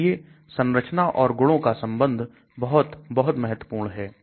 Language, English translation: Hindi, So the structure property relationship is very, very important